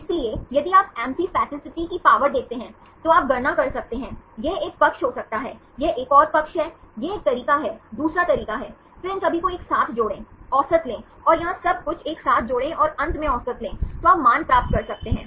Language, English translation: Hindi, So, if you see the power of amphipathicity, you can calculate, may be this is one side, this is another side, this is one face, second face, then add up all these together, take the average and add here everything together, and take the average finally, you can get the values right